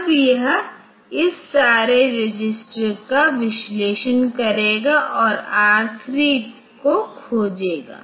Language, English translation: Hindi, Then it will find it will analyze all this register and find R3